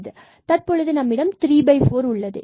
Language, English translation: Tamil, So now, we will 3 by 4